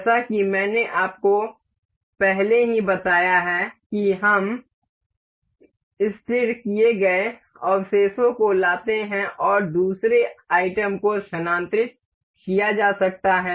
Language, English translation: Hindi, As I have already told you the first item that we bring in remains fixed and the second item can be moved